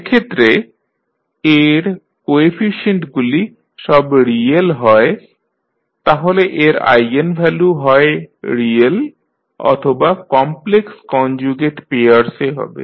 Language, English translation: Bengali, So, if the coefficients of A are all real then its eigenvalues would be either real or in complex conjugate pairs